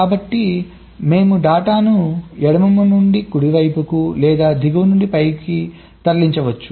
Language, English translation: Telugu, this is the schematic, so we can move a data from left to right or from bottom to top